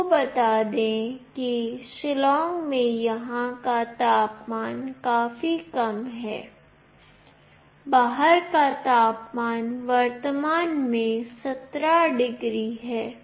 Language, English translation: Hindi, Let me tell you the temperature out here in Shillong is quite low; the outside temperature currently is 17 degrees